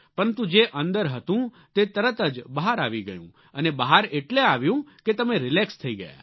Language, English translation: Gujarati, What happened was that whatever was inside, came out immediately and the reason was that you were now relaxed